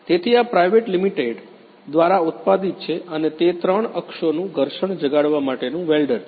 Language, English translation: Gujarati, So, this is manufactured by private limited and it is a three axis friction stir welder